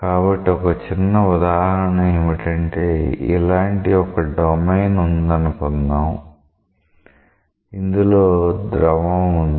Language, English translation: Telugu, So, a typical example is let us say that you have a domain like this; within this there is a fluid